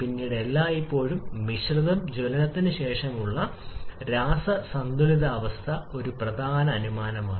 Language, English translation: Malayalam, Then mixture always in chemical equilibrium after combustion that is an important assumption